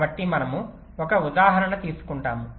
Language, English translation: Telugu, ok, so we take an example